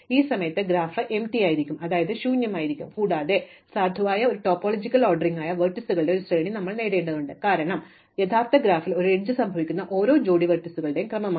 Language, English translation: Malayalam, At this point my graph is empty and I have obtained a sequence of vertices which is a valid topological ordering, because every pair of vertices which occur as an edge in my original graph is ordered, so that source of the edge appears before the target of the edge